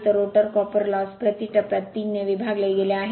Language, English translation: Marathi, So, rotor copper loss just we have calculated 1